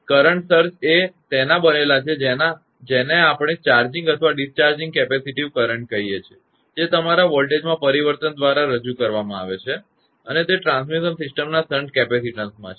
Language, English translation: Gujarati, So, that is why the current surges are made up of; what we call charging or discharging capacitive currents that are introduced by your change in voltages, across the shunt capacitance of the transmission system